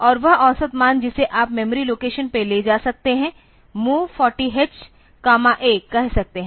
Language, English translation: Hindi, And that average value you can move to the memory location say 40 h comma A